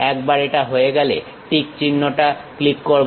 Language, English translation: Bengali, Once it is done click the tick mark